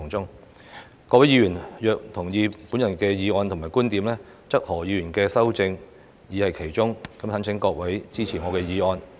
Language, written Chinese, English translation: Cantonese, 如果各位議員同意我的議案和觀點，則何議員的修正已在其中，懇請各位支持我的議案。, For those Members who agree with my motion and viewpoints please note that the essence of Mr HOs amendment has already been incorporated in my motion . I urge Members to support my motion